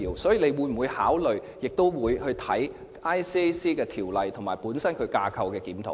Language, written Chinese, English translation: Cantonese, 所以，她會否考慮檢討《廉政公署條例》及進行架構檢討？, Hence will the Chief Executive consider holding a review on the ICAC Ordinance and undertaking a structural review of ICAC?